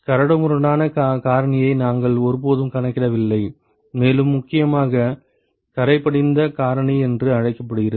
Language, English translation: Tamil, We never accounted for the roughness factor and also more importantly what is called the fouling factor